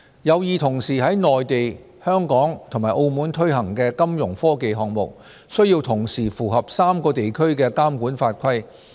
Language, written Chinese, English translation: Cantonese, 有意同時在內地、香港及澳門推行的金融科技項目，需要同時符合3個地區的監管法規。, Fintech initiatives which are intended to be introduced on the Mainland and in Hong Kong and Macao have to meet all the regulatory requirements of the three places